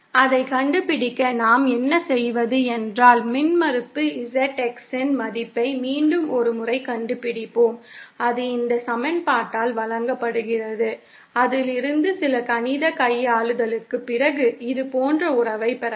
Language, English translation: Tamil, To find that out, what we do is that we find the value of the impedance ZX once again and that is given by this equation from which after some mathematical manipulation, we can get relation like this